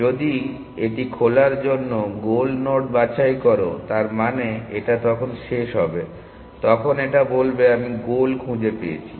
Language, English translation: Bengali, If it picks the goal node for open; that means, it will terminate; it will say I found the goal and so on